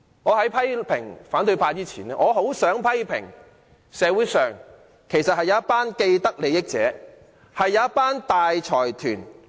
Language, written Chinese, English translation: Cantonese, 在批評反對派之前，我想先批評社會上一群既得利益者。, Before criticizing the opposition Members I would like to first criticize a group of people with vested interests in society